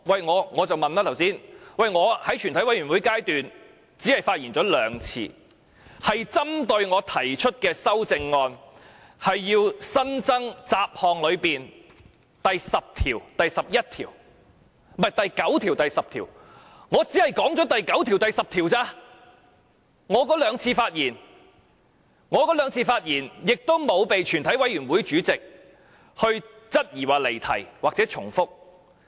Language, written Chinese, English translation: Cantonese, 我剛才問的是，我在全委會審議階段只曾針對我提出的修正案發言2次，即雜項下的新增第9條和第10條，我在那2次發言只是討論過第9條和第10條，而我也沒有被全委會主席質疑離題或重複。, My earlier question is about my speaking time during the committee of the whole Council . Just now I have spoken two times focused on my amendments to make new clauses 9 and 10 under the part Miscellaneous . On these two occasions I only discussed clauses 9 and 10 and was not challenged by the Chairman for digression or repetition